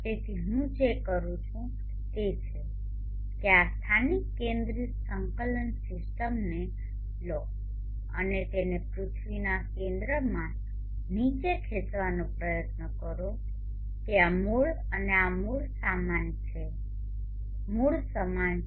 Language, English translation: Gujarati, So what I am going to do is take this local centric coordinate system and try to push it down to the center of the earth such that this origin and this origin are the same